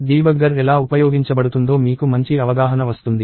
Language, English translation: Telugu, You have a good handle of how the debugger is used